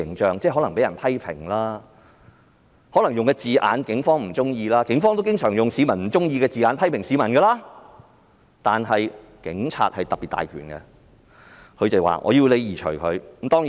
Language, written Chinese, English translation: Cantonese, 可能警方被人批評或警方不喜歡某些字眼——警方亦經常用市民不喜歡的字眼批評市民——但警察權力特別大，可以要求刪除有關資料。, When the Police are being criticized or when certain words that are not pleasing to the Police―the Police also use words the public dislike to make criticisms―the Police have the power to request for the removal of the relevant information